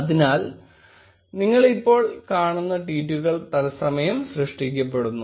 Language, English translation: Malayalam, So, the tweets, which you see now, are being generated in real time